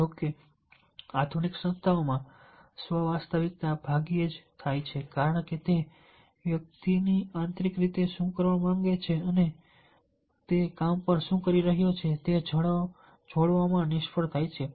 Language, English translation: Gujarati, however, in the modern organizations the self actualization hardly occurs because they fail to connect what the individually internally wants to do and what is doing on the job